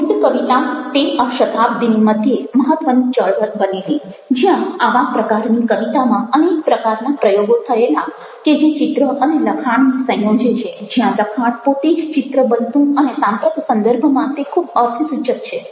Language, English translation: Gujarati, the concrete poetry became a significant movement in the middle of the century and there were a lot of exploring experiments in this kind of poetry which combined images and texts and where images, the texts themselves very images